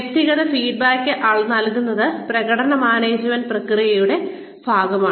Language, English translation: Malayalam, Providing individual feedback is part of the performance management process